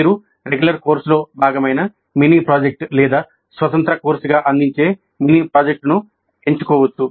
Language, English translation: Telugu, You can choose a mini project that is part of a regular course or a mini project offered as an independent course